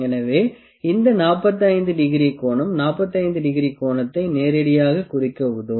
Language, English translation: Tamil, So, this 45 degree angle would help us to mark the 45 degree angle directly